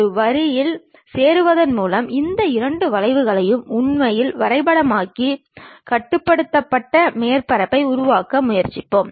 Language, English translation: Tamil, That kind of weightage we will apply to really map these two curves by joining a line and try to construct a ruled surface